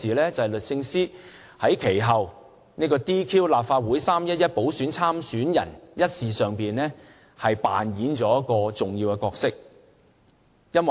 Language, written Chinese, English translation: Cantonese, 便是律政司司長在其後 "DQ" 立法會3月11日補選參選人一事上扮演了重要的角色。, In the incident of disqualifying a few candidates for the Legislative Council By - election on 11 March the Secretary for Justice has played an important role